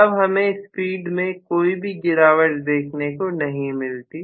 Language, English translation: Hindi, I should not have had any drop in the speed